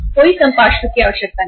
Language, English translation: Hindi, No collateral is required